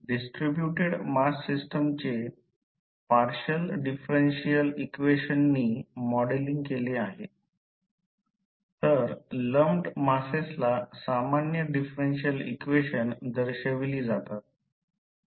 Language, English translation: Marathi, The distributed mass systems are modeled by partial differential equations whereas the lumped masses are represented by ordinary differential equations